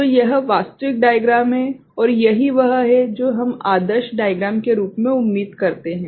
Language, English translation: Hindi, So, this is one actual diagram, and this is what we expect as ideal diagram